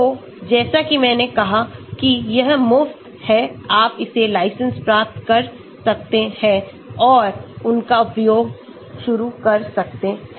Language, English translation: Hindi, so as I said it is free, you can download it get the license and start using them